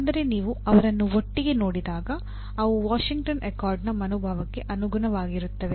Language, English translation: Kannada, But when you see them together, they are in the same kind of, they are as per the spirit of Washington Accord